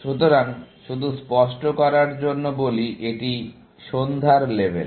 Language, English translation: Bengali, So, just to clarify, this is the evening level, so, to speak